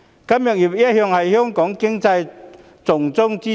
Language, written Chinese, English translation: Cantonese, 金融業一向是香港經濟的重中之重。, The financial industry has always been the most important pillar in the Hong Kong economy